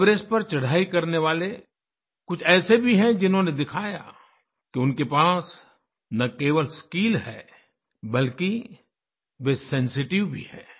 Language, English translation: Hindi, There are some mountaineers who have shown that apart from possessing skills, they are sensitive too